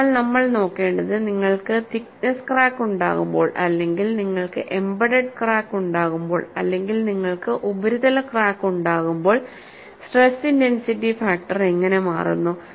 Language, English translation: Malayalam, So, what we will look at is, when you have a through the thickness crack, when you have an embedded crack, when you have a surface crack, how the stress intensity factors changes